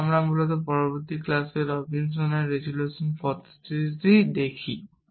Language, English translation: Bengali, So, we look at Robinson’s resolutions method in a next class essentially